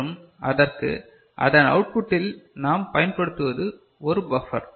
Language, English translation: Tamil, And for that what we use at the output of it, this is the you know the buffer right